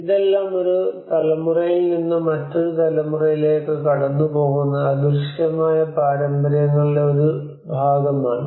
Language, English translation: Malayalam, So this all has to a part of the intangible traditions which pass from one generation to another generation